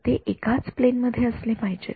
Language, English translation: Marathi, They should be in the same plane right